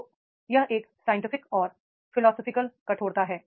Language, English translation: Hindi, So, it is a scientific and philosophical rigor